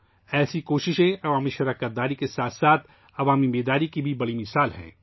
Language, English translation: Urdu, Such efforts are great examples of public participation as well as public awareness